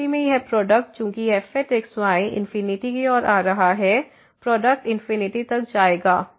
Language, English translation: Hindi, In that case, this product since is approaching to infinity; the product will go to infinity